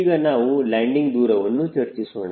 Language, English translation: Kannada, we will also discuss about so landing distance